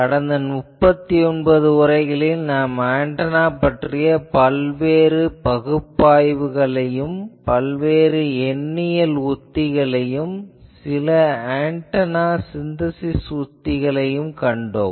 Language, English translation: Tamil, For last 39 lectures, we have seen various analytical methods to analyze the antenna; we also took the help of various numerical techniques some numerical techniques to have the antennas analysis synthesis etc